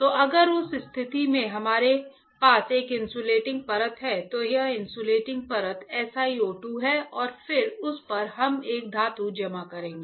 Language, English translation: Hindi, So, if in that case we have a insulating layer this insulating layer is SiO 2 right and then on that we will deposit a metal